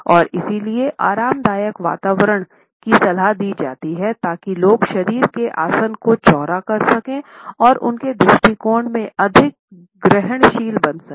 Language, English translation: Hindi, And therefore, it is advisable to relax the atmosphere so that the people can uncross the body postures and be more receptive in their attitudes